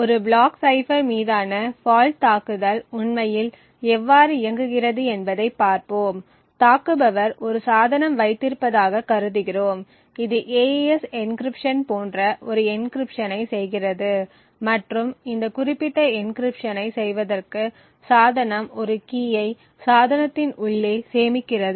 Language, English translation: Tamil, So, let us look at how a fault attack on a block cipher actually works, so we assume that the attacker has a device which is doing an encryption like an AES encryption and in order to do this particular encryption the device has a key which is stored inside the device